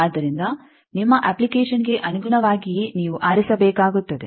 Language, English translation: Kannada, So, depending on your application you need to choose